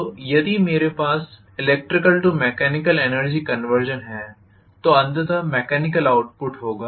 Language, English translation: Hindi, So if I am having electrical to mechanical energy conversion, I am going to have the mechanical output ultimately